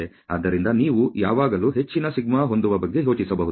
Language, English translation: Kannada, So, you can always think of having a greater σ ok